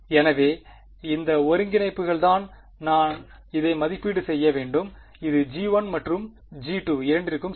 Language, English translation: Tamil, So, these integrals are the ones I have to evaluate this and this for both g 1 and g 2 ok